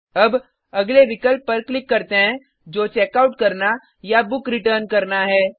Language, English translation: Hindi, Now, let us click on the next option which is to Checkout or Return Book